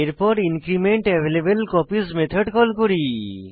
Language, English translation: Bengali, Then, we call incrementAvailableCopies method